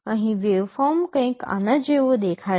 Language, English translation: Gujarati, Here the waveform will look something like this